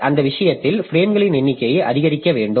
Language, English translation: Tamil, So that way we can reduce the number of frames